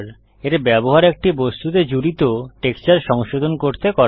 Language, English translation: Bengali, This is used to modify the texture added to an object